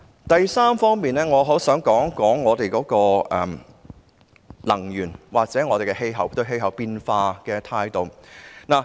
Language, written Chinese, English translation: Cantonese, 第三，我想談談能源及我們對氣候變化的態度。, Third I would like to talk about energy and our attitude towards climate change